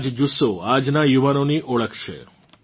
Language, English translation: Gujarati, This zest is the hallmark of today's youth